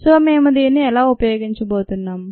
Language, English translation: Telugu, so how ah we going to use this